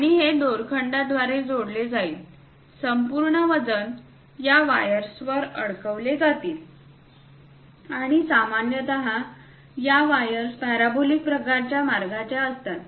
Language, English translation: Marathi, And these will be connected by ropes, entire weight will be suspended on these wires, and typically these wires will be of parabolic kind of path